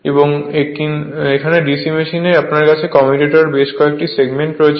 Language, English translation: Bengali, And but in the in the actual DC machine you have you have several segment of the commutators